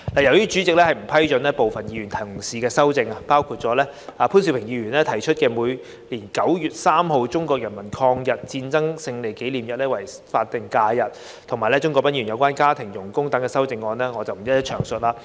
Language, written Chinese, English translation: Cantonese, 由於主席已不批准部分議員同事的擬議修正案，包括潘兆平議員提出將每年9月3日的中國人民抗日戰爭勝利紀念日列為法定假日及鍾國斌議員有關家庭傭工等的擬議修正案，我不在此逐一詳述。, Since some of the amendments proposed by Members including Mr POON Siu - pings amendment to designate the Victory Day of the Chinese Peoples War of Resistance against Japanese Aggression on 3 September every year as an SH and Mr CHUNG Kwok - pans amendment to exclude domestic helpers have been ruled inadmissible by the President I will not elaborate on them